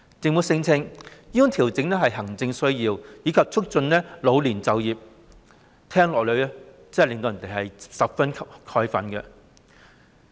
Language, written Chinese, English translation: Cantonese, 政府聲稱調整是行政需要，以及旨在促進老年就業，這真是聽到也令人十分憤慨。, The Government claims that the adjustment represents an administrative need and the aim is to promote employment among the elderly . Such a claim really makes one feel indignant